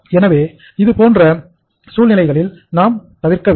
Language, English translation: Tamil, So we should try to avoid that situation